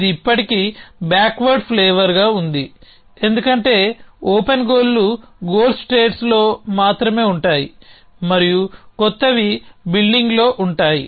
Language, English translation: Telugu, It still as a flavor of backward is in, because open goals are only in the goals state and the new keep building